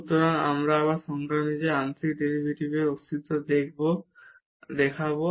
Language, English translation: Bengali, So, now we will show the existence of the partial derivatives again as per the definition here